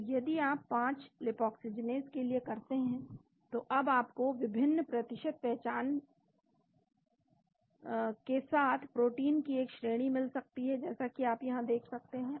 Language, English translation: Hindi, So, if you do for the 5 Lipoxygenase you may get a series of proteins now with the different percentage identity as you can see here